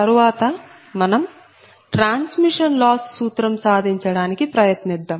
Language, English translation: Telugu, so next come to the transmission loss formula